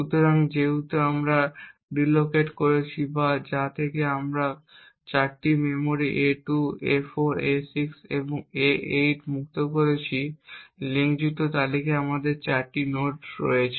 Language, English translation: Bengali, So, since we have deallocated or which since we have freed 4 chunks of memory a2, a4, a6 and a8 we have 4 nodes in the linked list